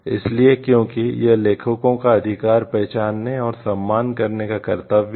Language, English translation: Hindi, So, because it is a duty to recognize and respect the right of the authors